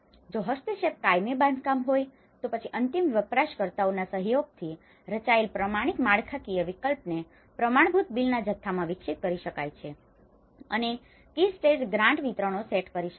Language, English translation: Gujarati, If the intervention is permanent construction, then the standardized structural options designed in collaboration with end users can be developed into standard bill of quantities and set key stage grant disbursements